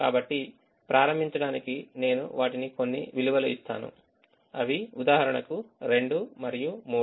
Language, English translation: Telugu, so to begin with i just give some values to them, say two and three